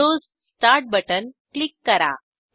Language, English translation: Marathi, Click on the Windows start button